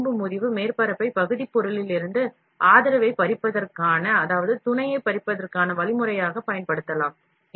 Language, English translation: Tamil, This fracture surface can be can be used as a means of separating the support from the part material